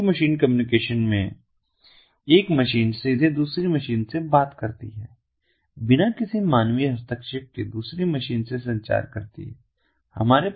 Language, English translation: Hindi, in machine to machine communication, one machine directly talks to another machine communicates with another machine without any human intervention